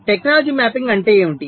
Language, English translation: Telugu, this process is called technology mapping